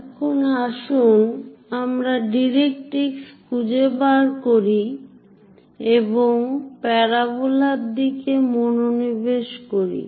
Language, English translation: Bengali, Now let us find out directrix and focus to your parabola